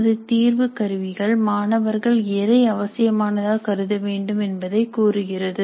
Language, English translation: Tamil, Our assessment tools tell the students what we consider to be important